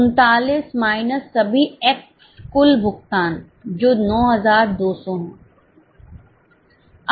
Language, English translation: Hindi, 39 minus all the total payments which is 9,200